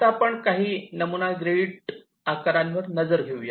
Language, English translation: Marathi, now lets take a quick look at some sample grid sizes